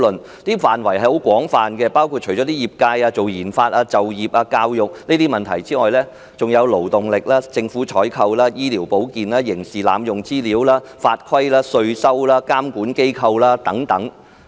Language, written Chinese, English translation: Cantonese, 該建議書的範圍很廣泛，除了業界、研發、就業、教育等問題外，還涉及勞動力、政府採購、醫療保健、刑事濫用資料、法規、稅收、監管機構等。, The scope of the proposal is extensive . Apart from industries RD employment education etc the policy proposal also touches on the labour force government procurement medicine and health criminal abuse of information the statute tax revenue regulatory institutions etc